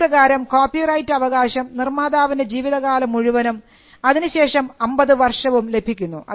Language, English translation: Malayalam, so, the copyright term of a work extended throughout the life of the author and for an additional 50 years